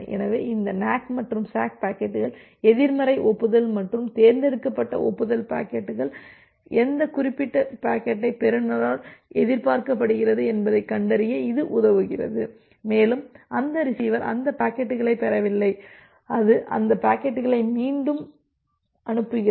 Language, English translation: Tamil, So, this NAK and the SACK packets the negative acknowledgement and the selective acknowledgement packets, it helps you to find out that which particular packet is expected by the receiver and like that receiver has not received those packets and it retransmit only those packets